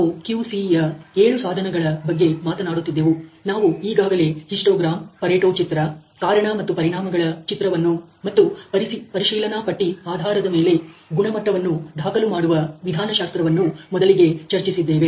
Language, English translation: Kannada, We were talking about the seven tools of QC, and we had already discussed earlier the histogram, the pareto diagram, the cause and effect diagram, and the check sheet based methodology of recoding quality